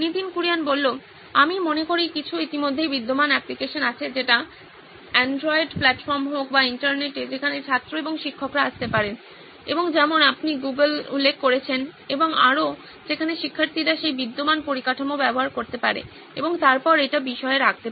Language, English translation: Bengali, I think there are some already existing applications, be it on the Android platform or on the Internet where students and teachers can come in and like you mentioned Google and so on, where students can use that existing infrastructure and then put it in the content